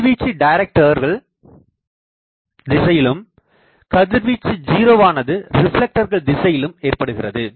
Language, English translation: Tamil, Radiation is in the direction of the directors and suppressed in the reflector direction